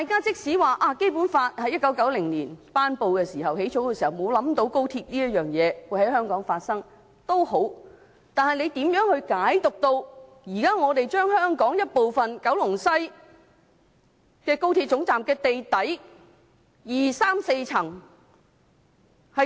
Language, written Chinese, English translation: Cantonese, 儘管《基本法》在1990年頒布時沒有考慮到高鐵會在香港發展，但是，你如何能理解現在可以把香港的一部分，即高鐵西九龍站地底第二、三、四層劃出？, When the Basic Law was promulgated in 1990 it did not anticipate that XRL would be developed in Hong Kong; but why is it possible that part of Hong Kong ie . the second third and fourth basement levels of the West Kowloon Station of XRL can be designated?